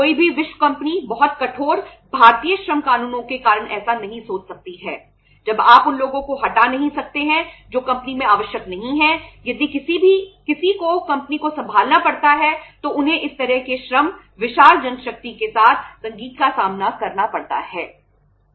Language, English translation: Hindi, No world company could think of that because of the very stiff Indian labour laws when you cannot remove the people who are not required in the company if somebody had to take over the company they have to face the music with this kind of the labour, huge manpower